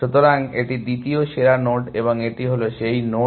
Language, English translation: Bengali, So, this is second best node and that is it node